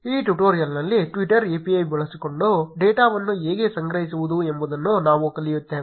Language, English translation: Kannada, In this tutorial, we will learn how to collect data using twitter API